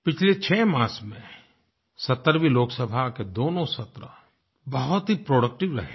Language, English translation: Hindi, In the last 6 months, both the sessions of the 17th Lok Sabha have been very productive